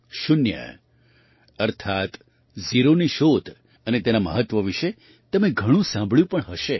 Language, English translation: Gujarati, You must have heard a lot about zero, that is, the discovery of zero and its importance